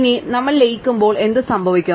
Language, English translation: Malayalam, Now, what happens when we merge